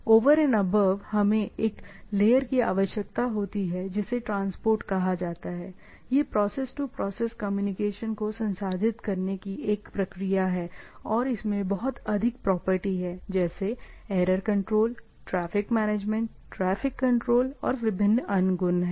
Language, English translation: Hindi, Over and above, we require a layer called transport, right or mostly what we say it is a process to process connection and it has lot of property: error control, traffic management, traffic control and different other properties